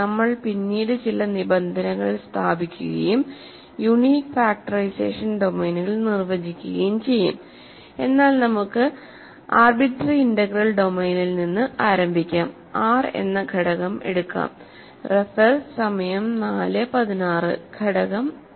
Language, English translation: Malayalam, So, we will put some conditions later and define unique factorization domains, but let us start with an arbitrary integral domain and let us take an element R element a